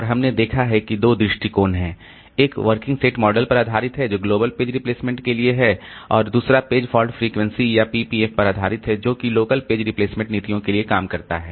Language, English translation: Hindi, One is based on working set model, which is for global page replacement, and another is based on page fault frequency or PFF so which which works for the local page replacement policies